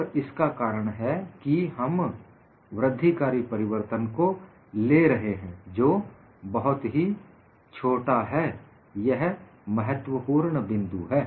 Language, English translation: Hindi, The reason is we are looking at incremental changes which are very small; this is the key point